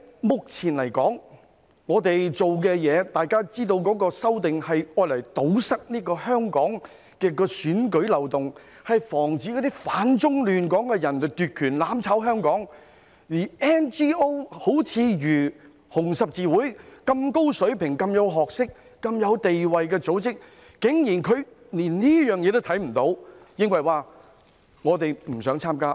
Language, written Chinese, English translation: Cantonese, 目前，大家知道這次修訂是為了堵塞香港的選舉漏洞，防止反中亂港的人奪權，"攬炒"香港，而 NGO—— 如紅十字會般有高水平、學識及地位的組織——竟然連這一點也看不見，而認為不想參加。, At the moment we all know that the amendments made this time are intended to plug the loopholes in Hong Kongs elections to prevent those who oppose China and destabilize Hong Kong from seizing power and drawing Hong Kong in the mire of mutual destruction . But NGOs―such as HKRC an organization of high calibre and status and rich knowledge―cannot even see this point and think it wants no part in it